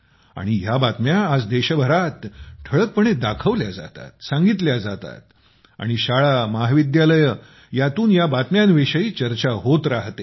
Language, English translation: Marathi, And such news is shown prominently in the country today…is also conveyed and also discussed in schools and colleges